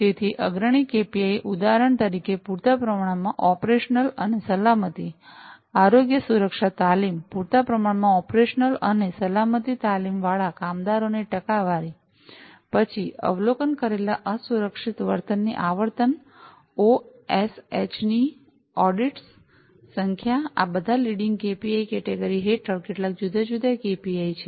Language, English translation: Gujarati, So, leading KPIs for example, percentage of managers with adequate operational and safety, health safety training, percentage of workers with adequate operational and safety training, then, frequency of observed unsafe behavior, number of OSH audits, these are some of these different KPIs under the leading KPIs category